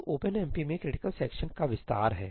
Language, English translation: Hindi, So, there is an extension to critical sections in OpenMP